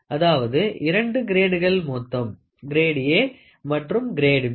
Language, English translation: Tamil, So, there are two grades; grade A and grade B